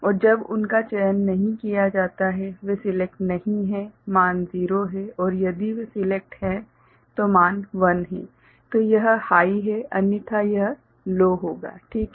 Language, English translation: Hindi, And when they are not selected; they are not selected the value are 0 and if they are selected value is 1, that is high so, otherwise it will be low ok